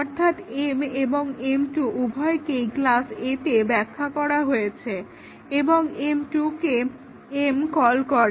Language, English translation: Bengali, So, both m and m 2 are defined in class A and m 2 is called by m